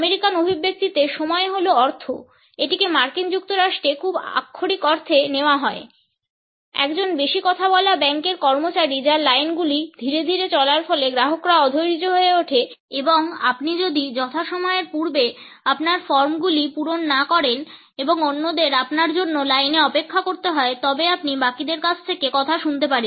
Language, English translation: Bengali, The American expression time is money can be taken very literally in the US, a chatty bank teller whose lines moving slowly will cause customers to become impatient and you will also get an earful if the line has to wait because you have not filled out your forms ahead of time